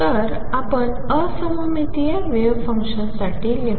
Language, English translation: Marathi, So, let us write for anti symmetric wave function